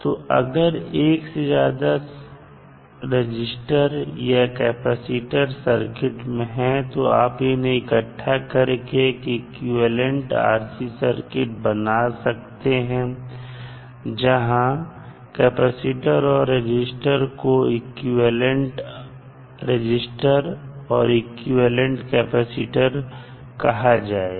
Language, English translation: Hindi, So, if you have multiple capacitors multiple resistors in the circuit, you can club all of them and create an equivalent RC circuit, so where c and r can be considered as an equivalent capacitance and equivalent resistance